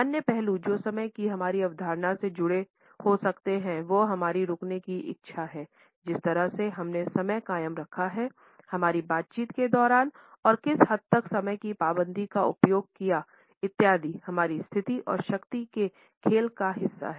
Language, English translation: Hindi, Other aspects which may be associated with our concept of time is our willingness to wait, the way we maintained time, during our interactions and to what extent the use of time punctuality etcetera are a reflection of our status and a part of the power game